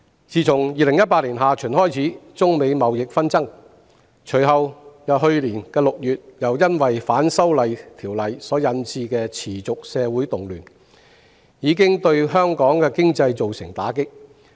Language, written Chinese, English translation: Cantonese, 自從2018年下旬開始中美貿易紛爭，隨後去年6月又因反修例持續發生社會動亂，香港經濟備受打擊。, Since the China - United States trade disputes started in the second half of 2018 followed by the incessant social disturbances arising from the opposition to the proposed legislative amendments starting from June last year the economy of Hong Kong has been hard hit